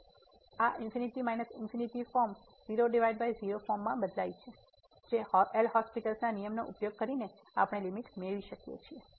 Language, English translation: Gujarati, So, this infinity minus infinity form changes to by form which using L’Hospital rule we can get the limit